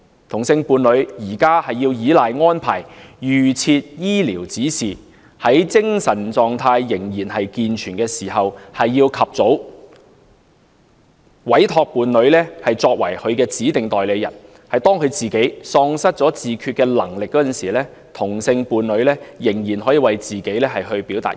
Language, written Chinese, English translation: Cantonese, 同性伴侶目前要依賴預設醫療指示，在精神狀態仍然健全時，及早委託其伴侶為指定代理人，以便當自己喪失自決能力時，同性伴侶仍可為他表達意願。, Currently homosexual couples have to rely on advance directives . While still in a sound mental state they appoint their partners as authorized agents in advance so that once they lose self - determination their same - sex partners can still express the will on their behalf